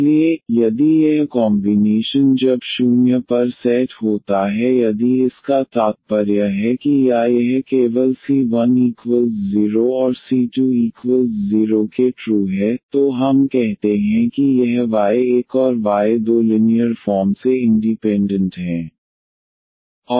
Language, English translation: Hindi, So, if this combination when set to 0 if this implies that or this is true only when c 1 is equal to 0 and c 2 is equal to 0, then we call that this y 1 and y 2 are linearly independent